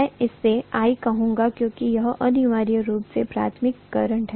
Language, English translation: Hindi, Let me call that as I1 because it is essentially the primary current